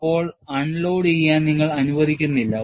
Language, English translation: Malayalam, So, now, you do not permit unloading